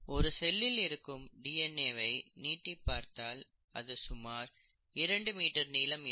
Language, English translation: Tamil, The DNA in a single cell, if you stretch out the DNA, can be about 2 metres long, right